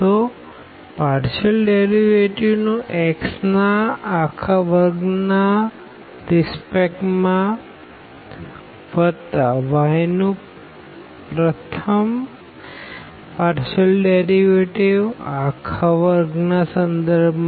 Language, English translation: Gujarati, So, the first partial derivative with respect to x whole square plus the partial derivative with respect to y of the given function whole square